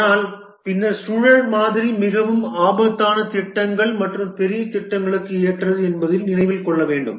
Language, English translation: Tamil, But then need to remember that the spiral model is suitable for very risky projects and large projects